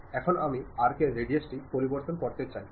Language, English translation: Bengali, Now, I want to really change the arc radius